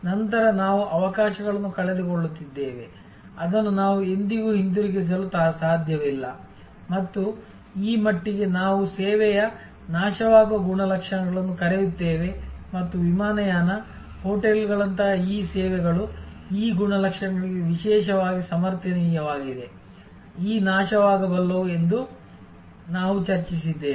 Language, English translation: Kannada, Then, we are losing opportunities, which we can never get back and to that extent we are discussed earlier that this is what we call the perishable characteristics of service and these services like airlines, hotels are particularly sustainable to this characteristics, this perishability